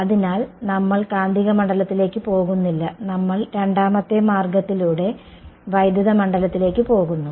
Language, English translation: Malayalam, So, we are not going to go to the magnetic field we are going to go the second route to the electric field ok